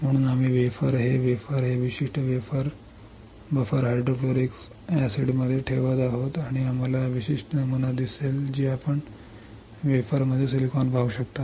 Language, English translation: Marathi, So, we are placing the wafer this wafer, this particular wafer into buffer hydrofluoric acid and we will see this particular pattern which is you can see the silicon in the wafer